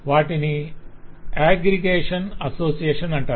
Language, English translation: Telugu, there are known as aggregation association